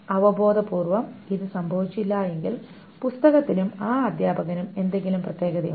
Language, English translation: Malayalam, Intuitively, if this doesn't happen, then there is something special about the book and the teacher